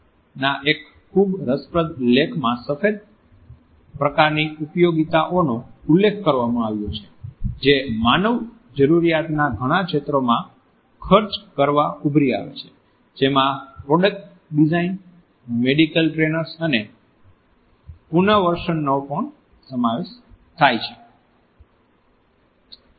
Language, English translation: Gujarati, Srinivasan has referred to white varieties of applications which have emerged to spend many areas of human needs which include product design medical trainers and rehabilitation